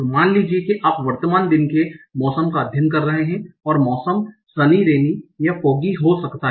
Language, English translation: Hindi, Suppose your state is the weather, the weather on the current day and the weather can be sunny, rainy or foggy